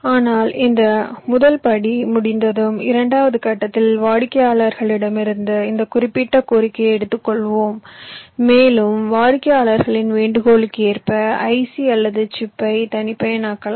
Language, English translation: Tamil, but once this first step is done, in this second step we take this specific request from the customers and we customize our ic or chip according to the request by the customers